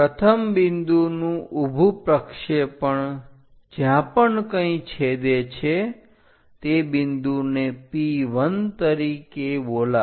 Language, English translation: Gujarati, First point the vertical projection do that, wherever it is intersecting call that point as P 1